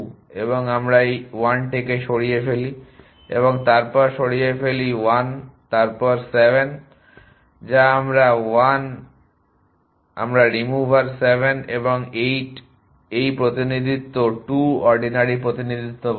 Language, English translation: Bengali, And we remove this and 1 which is 1 an then remove 1 then 7 which is 1 we remover 7 and 8 at this representation of the 2 are is calling ordinary representation